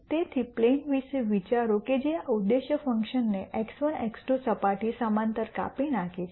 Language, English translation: Gujarati, So, think about a plane that cuts this objective function plot parallel to the x 1, x 2 surface